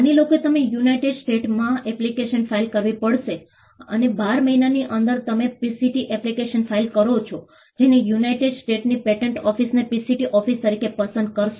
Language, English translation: Gujarati, Assume that you have to file an application in the United States, and within 12 months you file a PCT application choosing United States patent office as the PCT office